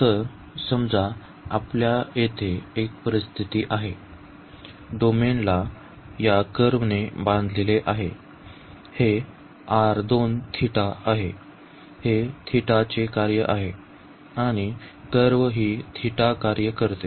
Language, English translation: Marathi, So, suppose we have situation here, the domain is bounded by this curve this is r 2 theta, it is a function of theta; and the another curve which is a function of theta here